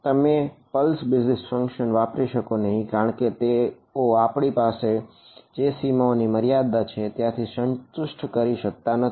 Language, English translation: Gujarati, You cannot use pulse basis functions because they do not satisfy the boundary conditions that we have